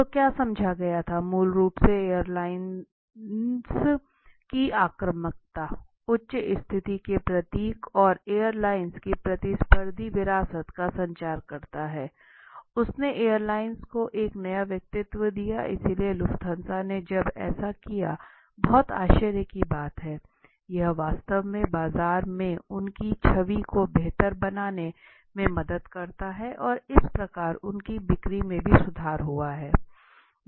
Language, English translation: Hindi, So what did was explained was basically it communicated the aggressiveness of the airlines, the high status symbol and the competitive heritage of the airline so it you know it gave a new personality to the airlines right, so this is how Lufthansa when they did it was very surprising that this actually help in improving their image in the market and thus their you know sales also improved